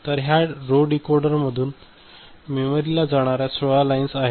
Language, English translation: Marathi, So, these are the 16 lines that are going to the memory after the row decoder